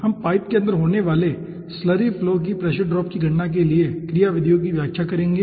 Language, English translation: Hindi, we will be explaining methodologies for calculation of pressure drops inside a pipe carrying slurry flow